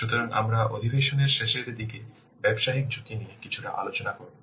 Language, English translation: Bengali, So, we will discuss the business risks somewhat towards the end of the session